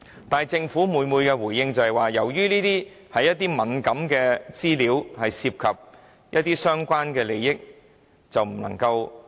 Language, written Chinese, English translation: Cantonese, 但是，政府每次的回應也是：由於這些文件是敏感資料，涉及相關的利益，因此不能提供。, However every time the Government gave the same response such documents were sensitive information involving the interests of the relevant parties and therefore could not be provided